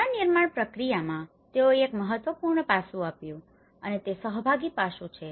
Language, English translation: Gujarati, One is, in the rebuilding process they have given one of the important aspect is the participatory aspect